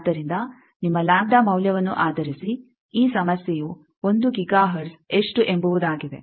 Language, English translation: Kannada, So, based on your lambda value this problem I think get how much 1 Giga hertz